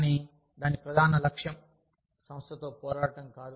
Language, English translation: Telugu, But, its main goal, is not to fight the organization